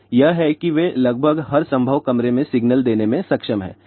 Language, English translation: Hindi, So, that is how they are able to give signal in almost every possible room